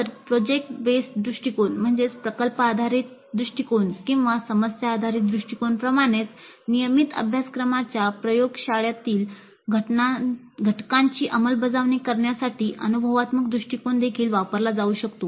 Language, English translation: Marathi, So like product based approach or problem based approach, experiential approach also can be used to implement the laboratory component of a regular course